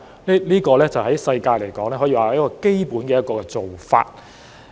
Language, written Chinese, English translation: Cantonese, 在國際上來說，這可說是基本的做法。, From an international perspective this can be considered as a basic practice